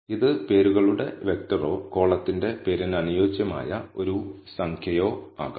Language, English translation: Malayalam, It can be a vector of names or only a single number corresponding to the column name